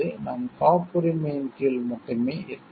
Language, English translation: Tamil, We can only be covered under patents